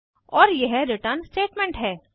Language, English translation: Hindi, And this is the return statement